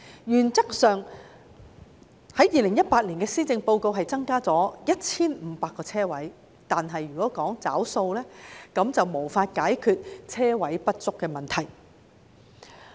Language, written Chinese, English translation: Cantonese, 原則上 ，2018 年的施政報告只建議增加 1,500 個泊車位，但如果要"找數"，便無法解決泊車位不足的問題。, In principle there would only be an addition of 1 500 parking spaces as proposed in the 2018 Policy Address but if they have to honour their promise the problem of insufficient parking spaces cannot be solved